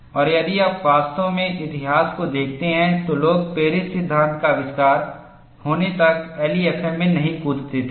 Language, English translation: Hindi, And if you really look at the history, people did not jump on to LEFM until Paris law was invented